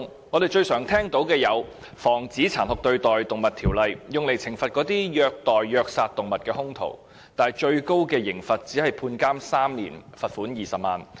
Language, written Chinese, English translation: Cantonese, 我們經常聽到的《防止殘酷對待動物條例》，是用來懲罰虐待和虐殺動物的兇徒的，但最高刑罰只是監禁3年及罰款20萬元。, The Prevention of Cruelty to Animals Ordinance which we often hear of seeks to punish perpetrators who abused and killed animals but the maximum penalty is only imprisonment for three years and a fine of 200,000